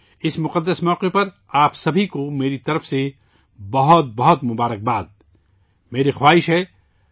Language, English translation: Urdu, My best wishes to all of you on this auspicious occasion